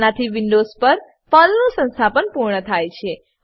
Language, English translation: Gujarati, This completes the installation of PERL on Windows